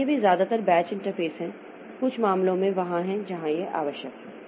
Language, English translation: Hindi, batch interface is there in some cases where it is required